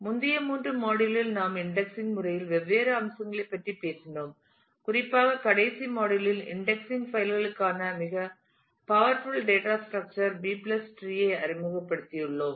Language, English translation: Tamil, In the previous 3 we have talked about different aspects of indexing and specifically in the last module, we have introduced the most powerful data structure B+ tree for index files